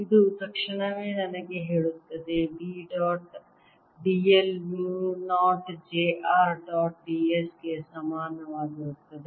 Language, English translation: Kannada, this immediately tells me that d dot d l is going to be equal to mu, not j r dot d s